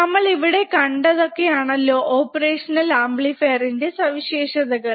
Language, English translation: Malayalam, So, these are the ideal characteristics of an ideal operational amplifier